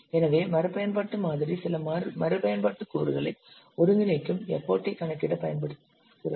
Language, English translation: Tamil, So a reuse model is used to compute the effort of integrating some reusable components